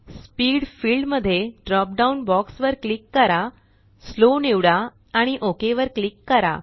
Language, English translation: Marathi, In the Speed field, click on the drop down box, select Slow and click OK